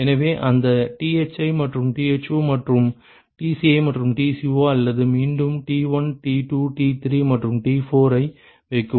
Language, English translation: Tamil, So, that Thi and Tho and Tci and Tco, or again put T1, T2, T3, and T4 ok